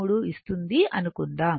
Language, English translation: Telugu, 23 and multiply